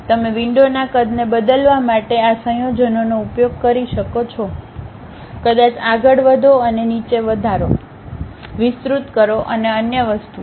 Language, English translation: Gujarati, You use these combinations to really change the size of the window, may be moving up, and down increasing, enlarging and other thing